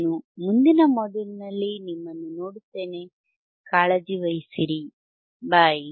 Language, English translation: Kannada, So, till then I will see in the next module, you take care, bye